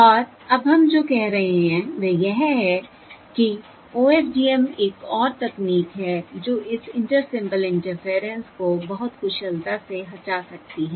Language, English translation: Hindi, And now what we are saying is that OFDM is another technology which can overcome this inter symbol interference, and very efficiently